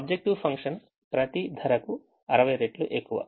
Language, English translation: Telugu, the objective function is sixty times